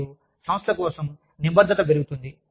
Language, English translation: Telugu, And, commitment goes up, for the organization